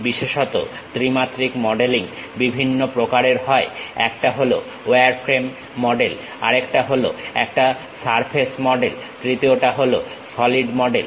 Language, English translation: Bengali, Especially, the three dimensional modelling consists of three different varieties: one is wireframe model, other one is surface model, the third one is solid model